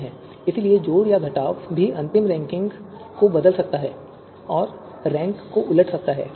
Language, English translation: Hindi, So addition or subtraction might also change the final you know you know ranking, might lead to a rank reversal